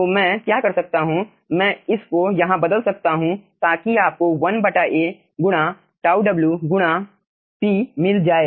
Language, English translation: Hindi, so what i can do, i can replace this 1 over here so you get 1 by a into tau w, into p